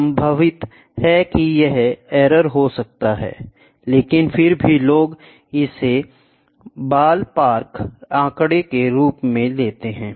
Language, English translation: Hindi, There are number of possible errors which can happen in this, but still people do it for a ballpark figure